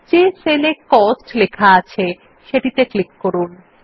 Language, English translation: Bengali, I will click on the cell which has Cost written in it